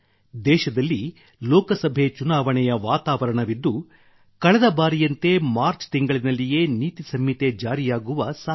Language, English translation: Kannada, The atmosphere of Lok Sabha elections is all pervasive in the country and as happened last time, there is a possibility that the code of conduct might also be in place in the month of March